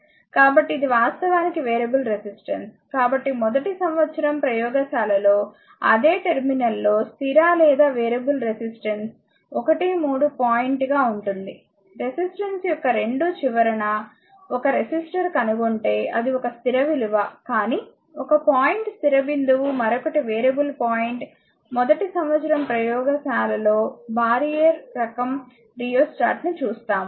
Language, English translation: Telugu, So, this is actually variable resistance; so when we will do first year laboratory, you will see the fixed or variable resistance in the same one terminal will be 1 3 point if we fixed it on the both the end of the resistance a resistor will find is a fixed value, but one point is a fixed point another is a variable point, when we will do first year laboratory if the barrier type of rheostat you will see this